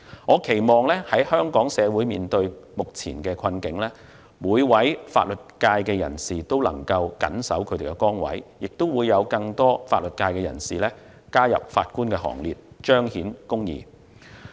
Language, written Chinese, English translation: Cantonese, 我期望在香港社會面對目前困境的時候，每名法律界人士都能夠謹守崗位，亦會有更多法律界人士加入法官行列，彰顯公義。, When our society is facing difficulties I hope that every member of the legal profession will dedicate to the work and that more legal professionals will become members of the Bench to manifest justice